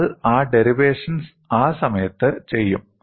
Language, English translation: Malayalam, We will do that derivation at that time